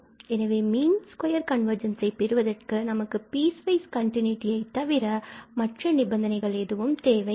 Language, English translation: Tamil, So, for mean square convergence, we do not need any other condition than just the piecewise continuity